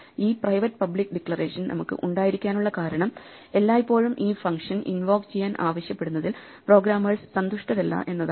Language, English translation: Malayalam, And partly the reason why we have to have this private public declaration is that the programmers are not happy with having to always invoke a function, sometimes they would like to directly assign